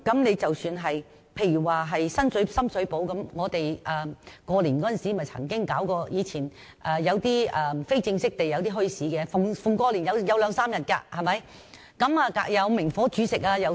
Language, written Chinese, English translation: Cantonese, 又以深水埗為例，新年時曾有一些非正式的墟市，每逢過年也會舉辦兩三天的，還有明火煮食的攤檔。, Consider the example of Sham Shui Po . Some informal bazaars were held there during the Lunar New Year for two or three days and there were cooked food stalls which used naked flame